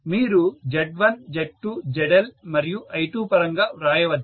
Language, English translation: Telugu, You can write it in terms of Z1, Z2, ZL and I2 all of them